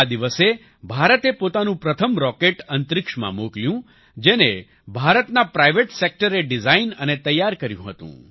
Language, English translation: Gujarati, On this day, India sent its first such rocket into space, which was designed and prepared by the private sector of India